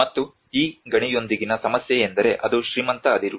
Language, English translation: Kannada, And the problem with this mine I mean it is one of the richest ore